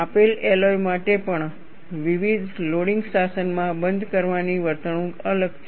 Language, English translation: Gujarati, Even for a given alloy, the closure behavior is different in different loading regimes